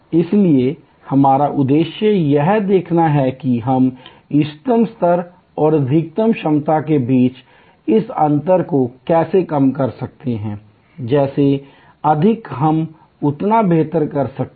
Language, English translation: Hindi, So, our aim is to see how we can reduce this gap between the optimal level and the maximum level, the more we can do that better it is